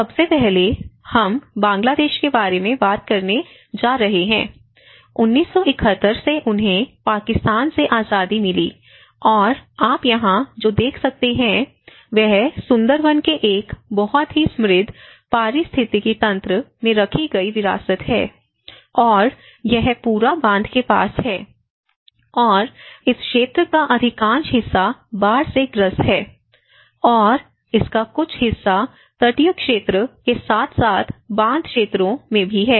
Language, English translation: Hindi, First of all today, we are going to talk about the Bangladesh, and many of you understand that you know in Bangladesh has been recently, not recently but at least from 1971, they got the independence from Pakistan and what you can see here is a heritage laid in a very rich ecosystem of the Sundarbans, and this whole part is you have all these backwaters, and much of this area has been prone to the floods, and part of it is on to the coastal side and as well as the backwater areas